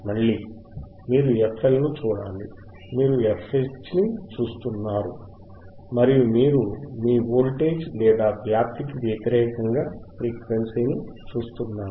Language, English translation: Telugu, Again, you hasve to looking at FLFL, you are looking at FH right and you are looking at the frequency versus your voltage or amplitude right;